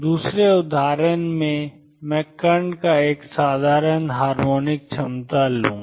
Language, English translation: Hindi, In the second example I will take the particle in a simple harmonic potential